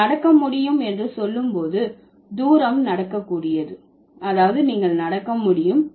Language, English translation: Tamil, When you say walkable, the distance is walkable, that means you can walk